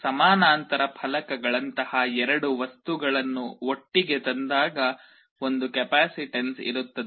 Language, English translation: Kannada, When two materials like parallel plates are brought close together, there will be a capacitance